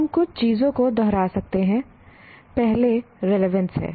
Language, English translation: Hindi, We may repeat a few things, but here, first is relevance